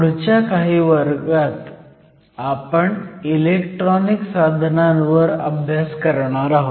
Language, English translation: Marathi, In the next few classes, we are going to focus on electronic devices